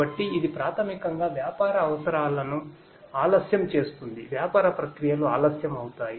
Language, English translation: Telugu, So, that basically delays the business requirements, business processes will be delayed